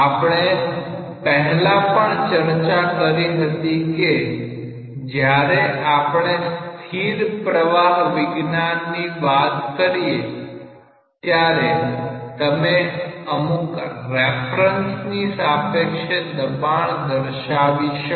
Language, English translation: Gujarati, We have already discussed when we were discussing the statics of fluids that you can prescribe pressure also with risk with reference to something